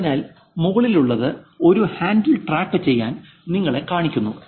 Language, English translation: Malayalam, So here, the one on the top is showing you that keep track of a handle